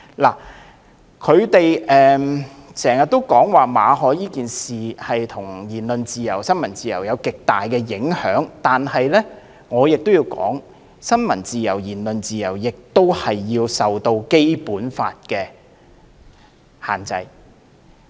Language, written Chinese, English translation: Cantonese, 泛民議員經常說馬凱事件對言論自由及新聞自由有極大影響，但我必須指出，新聞自由和言論自由亦須受《基本法》的限制。, Pan - democratic Members kept saying that the MALLET incident has serious impact on freedom of speech and freedom of the press but I must point out that freedom of the press and freedom of speech are also subject to the Basic Law